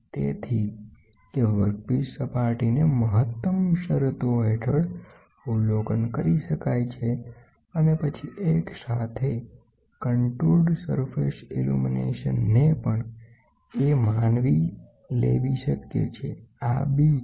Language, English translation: Gujarati, So, that the work piece surface can be observed under optimum conditions and then simultaneous contour and surface illumination is also possible suppose this is A, this is B